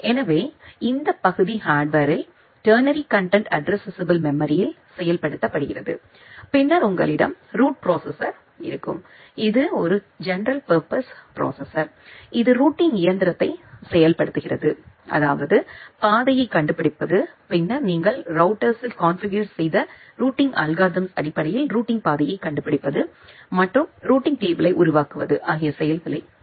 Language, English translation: Tamil, So, this part is implemented in TCAM in the hardware and then you will have the route processor which is a general purpose processor which implement routing engine; that means, to finding out the path and then to finding out routing path based on the routing specific routing algorithm that you have configured in the router and in constructing the routing table